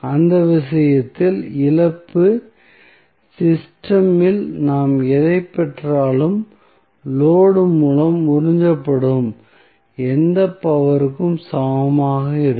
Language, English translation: Tamil, So, in that case loss, whatever we get in the system would be equal to whatever power is being absorbed by the load